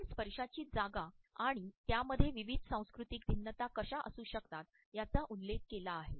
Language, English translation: Marathi, We have referred to the position of touch and how it can have different cultural variations